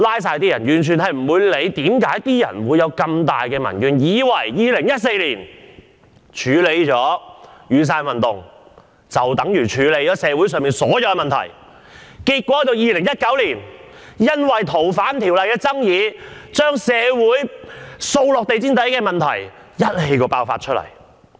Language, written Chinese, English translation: Cantonese, 政府完全不理會為甚麼社會上有這樣重大的民怨，以為處理了2014年的雨傘運動，便等於解決了社會上所有問題 ，2019 年因為修訂《逃犯條例》引起的爭議，便是將掃到地毯下的社會問題一次過暴露出來。, The Government totally ignores the cause of such tremendous public grievances . It thought that after suppressing the Umbrella Movement in 2014 all social problems were solved . Yet the conflicts arising from the amendment of the Fugitive Offenders Ordinance in 2019 exposed in one go all the social problems that had been swept under the carpet